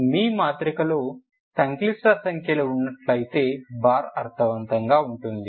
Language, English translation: Telugu, If your matrix is having complex numbers then the bar makes sense